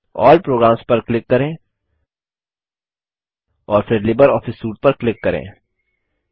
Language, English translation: Hindi, Click on All Programs, and then click on LibreOffice Suite